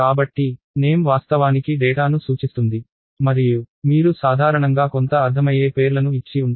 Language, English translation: Telugu, So, the name is actually referring to the data and you usually have names which make some sense to you